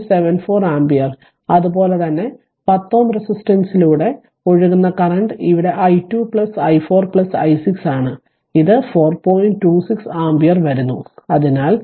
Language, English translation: Malayalam, 74 ampere, similarly current flowing through 10 ohm resistance here it is i 2 plus i 4 plus i 6 it is coming 4